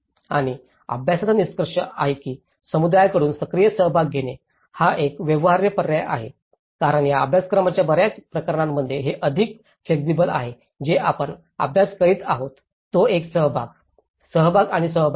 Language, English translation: Marathi, And the study concludes that active participation from the community is a viable alternative because that is more flexible in many of the cases in this course what we are studying is a participation, participation and participation